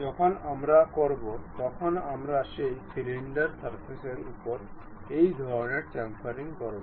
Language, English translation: Bengali, When we do we will have that kind of chamfering on that solid surface